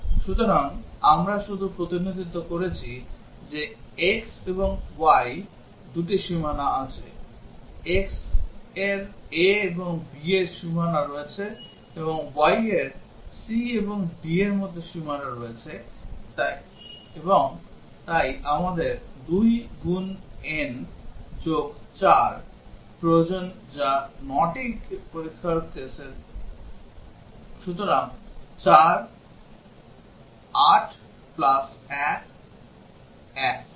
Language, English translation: Bengali, So, we just have just represented that that there are two boundaries x and y; x has boundary between a and b and y has boundary between c and d, and therefore, we need 2 into 4 plus 1 which is 9 test cases, so 4, 8 plus 1 – 9